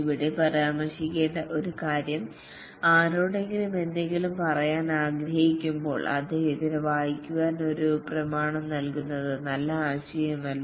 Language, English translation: Malayalam, One thing need to mention here is that when want to convey something to somebody, it's not a good idea to give him a document to read